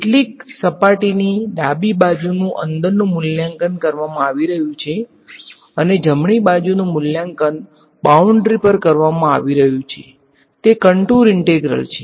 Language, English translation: Gujarati, Some surface the left hand side is being evaluated inside and the right hand side is being evaluated on the boundary it is a contour integral